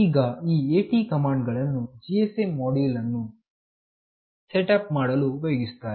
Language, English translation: Kannada, Now, these AT commands are used for to set up the GSM module